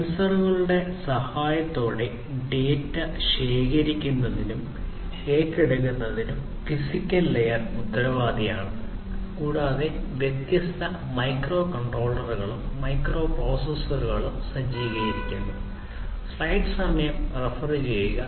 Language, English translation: Malayalam, So, as I was telling you the physical layer is responsible for collecting and acquiring data with the help of sensors and these are also equipped with different microcontrollers, microprocessors, and so on